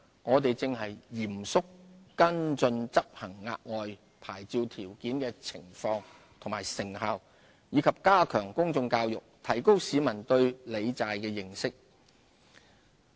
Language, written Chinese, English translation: Cantonese, 我們正嚴肅跟進執行額外牌照條件的情況和成效，以及加強公眾教育，提高市民對理債的認識。, We are taking actions to seriously follow up on the implementation and effectiveness of the additional licensing conditions as well as to enhance public education to raise peoples awareness of debt management